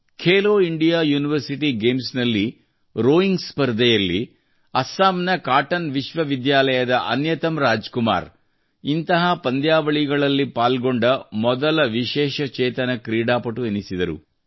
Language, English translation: Kannada, In the rowing event at the Khelo India University Games, Assam's Cotton University's Anyatam Rajkumar became the first Divyang athlete to participate in it